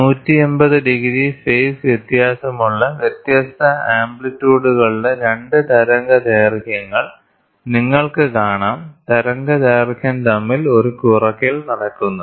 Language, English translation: Malayalam, So, here 2 wavelengths of different amplitudes with phase difference of 180 degrees, you can see there is a subtraction happening between the wavelength